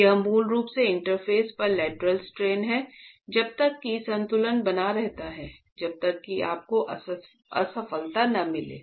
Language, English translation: Hindi, That is basically the lateral strains at the interface should be same as long as equilibrium is maintained